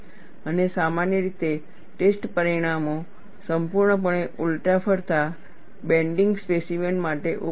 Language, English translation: Gujarati, And usually, the test results are available for fully reversed rotating bending specimen